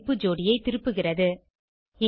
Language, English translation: Tamil, each function returns the key/value pair